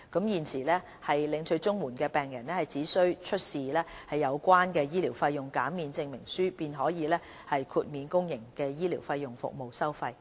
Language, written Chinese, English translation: Cantonese, 現時，領取綜援的病人只需出示有效的醫療費用減免證明書，便可獲豁免公營醫療服務的收費。, At present patients receiving Comprehensive Social Security Assistance can be exempted from payment of fees for public health care services upon production of a valid medical fee waiver